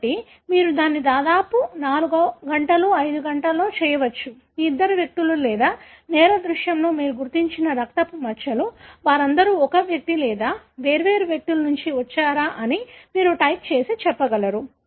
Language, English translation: Telugu, So, this you can do it in in about 4 hours, 5 hours, you will be able to type and tell whether these two individuals or the blood spots that you found in a crime scene, whether they all come from one individual or different individuals